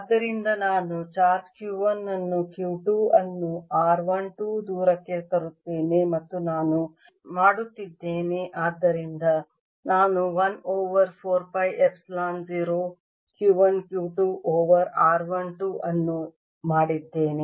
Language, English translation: Kannada, so i have charge q one, let us bring q two to a distance r one, two, and doing so i have done work which is one over four, phi epsilon zero q one, q two over r one, two